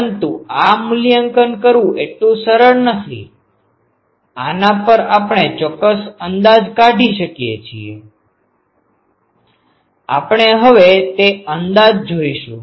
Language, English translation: Gujarati, But this integral is not so easy to evaluate on this we make certain approximation; we will make those approximations now